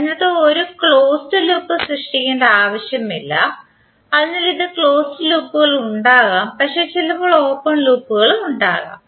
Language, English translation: Malayalam, That means that it is not necessary that it will create a close loop, So it can have the close loops but there may be some open loops also